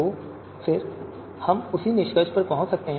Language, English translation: Hindi, So again you know we can arrive at the same conclusion